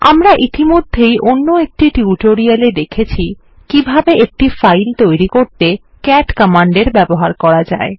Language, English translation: Bengali, We have already seen in another tutorial how we can create a file using the cat command